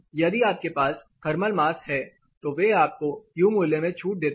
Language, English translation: Hindi, If you have thermal mass they give you relaxation in terms U value